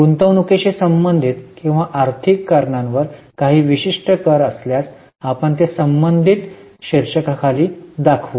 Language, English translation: Marathi, If there are some specific taxes on investing or financing related items, we will show it under the respective head